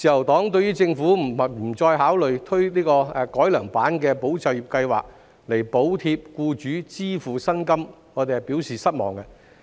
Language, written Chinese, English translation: Cantonese, 對於政府不再考慮推出改良版的"保就業"計劃，以補貼僱主支付薪金，自由黨表示失望。, The Liberal Party is disappointed that the Government does not consider implementing the enhanced Employment Support Scheme ESS again to subsidize employers to pay wages of employees